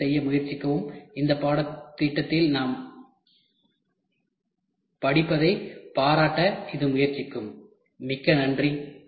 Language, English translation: Tamil, Please try to do; this will try to appreciate what we are studying in this course Thank you very much